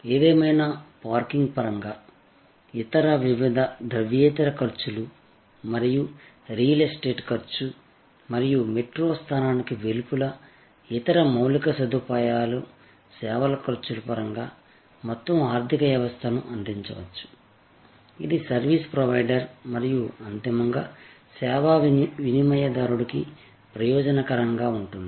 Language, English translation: Telugu, However, in terms of parking, in terms of other various non monetary costs and in terms of the real estate cost and other infrastructural service costs that outside metro location may provide an overall economy, which will be beneficial both for the service provider and ultimately for the service consumer